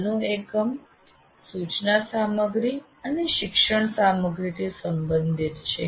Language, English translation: Gujarati, In this present unit, which is related to instruction material and learning material